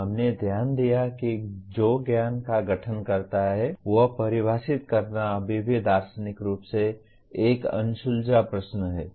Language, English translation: Hindi, We noted that defining what constitutes knowledge is still a unsettled question philosophically